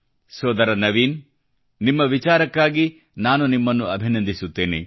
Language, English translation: Kannada, Bhai Naveen, I congratulate you on your thought